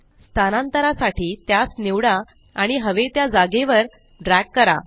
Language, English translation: Marathi, To move an object, just select it and drag it to the desired location